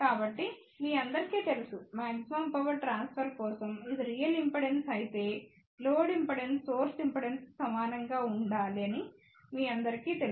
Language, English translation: Telugu, So, you all know that for maximum power transfer, load impedance should be equal to source impedance if it is real impedance